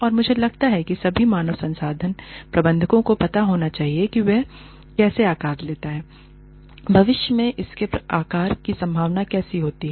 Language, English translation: Hindi, And, I feel, all human resource managers, should know, how it is going to shape up, how it is likely to shape up, in the future